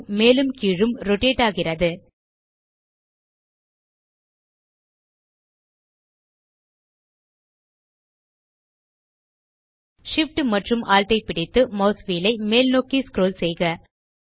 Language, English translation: Tamil, The view rotates up and down Hold Shift, Alt and scroll the mouse wheel upwards